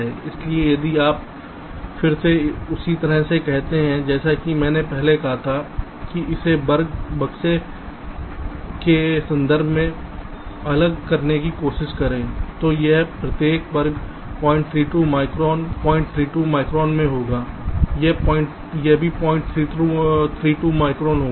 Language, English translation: Hindi, so if you again, similarly as i said earlier, try to discretize it in terms of square boxes, each of this square will be point three, two micron